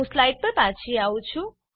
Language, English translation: Gujarati, I have returned to the slides